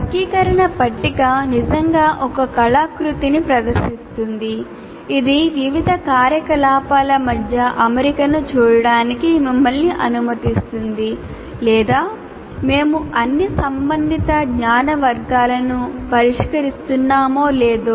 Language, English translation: Telugu, So the taxonomy table really presents you as a kind of a, it's an artifact that allows you to look at the alignment between various activities or whether we are addressing all the relevant knowledge categories or not